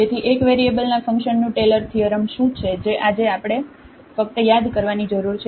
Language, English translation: Gujarati, So, what is the Taylors theorem of function of single variables we need to just recall